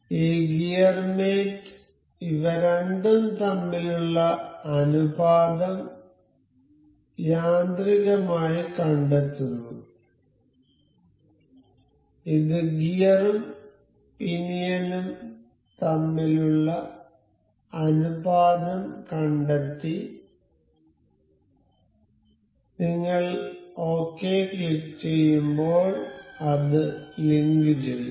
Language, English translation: Malayalam, So, this gear mate automatically detects the ratio between these two, it has detected the ratio between the gear and the pinion and as you click ok it will link it up